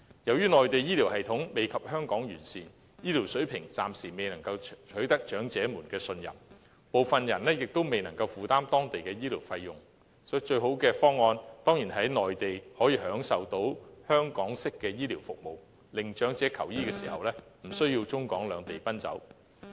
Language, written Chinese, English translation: Cantonese, 由於內地醫療系統未及香港完善，醫療水平暫時未能取得長者的信任，部分人亦都未能負擔當地的醫療費用，所以最好的方案，當然是在內地享用香港式的醫療服務，令長者求醫時，不需要中港兩地奔走。, Compared with its Hong Kong counterpart health care system on the Mainland is less than optimal and its quality has yet to earn the trust of the elderly . Medical expenses on the Mainland are also unaffordable for some elderly persons . Therefore making use of authentic Hong Kong health care services while on the Mainland is the best solution as it spares elderly persons the hassles of travelling between the Mainland and Hong Kong when seeking medical treatment